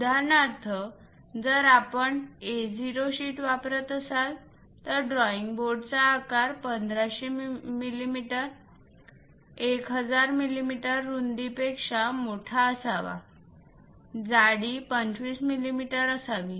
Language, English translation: Marathi, For example, if we are using A0 sheet, then the drawing board size supposed to be larger than that 1500 mm by 1000 mm width, thickness supposed to be 25 millimeters